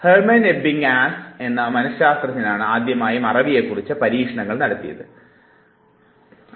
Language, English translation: Malayalam, Let us first understand that Hermann Ebbinghaus was the first psychologist who conducted experiments on forgetting